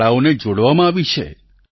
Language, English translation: Gujarati, Schools have been integrated